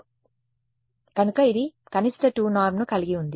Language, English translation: Telugu, 2 norm; so it had minimum 2 norm